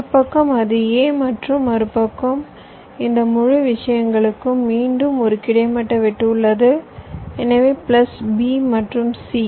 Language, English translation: Tamil, so on one side it is a and the other side is this whole thing, this whole things again has a horizontal cut